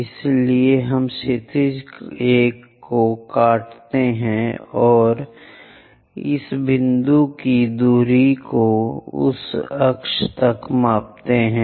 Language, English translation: Hindi, So, we intersect the horizontal one, measure the distance of this point on that axis it makes here